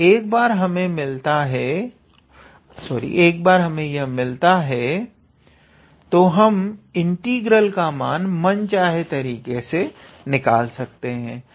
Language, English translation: Hindi, And once we have that then we can calculate the integral the way we please